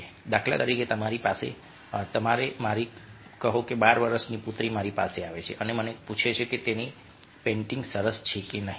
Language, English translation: Gujarati, for instance, my, let say, twelve year old daughter comes to me and asks me whether have painting is looking nice or not